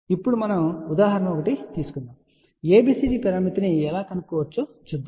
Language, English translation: Telugu, Now, let us just take some example and see how we can find out ABCD parameter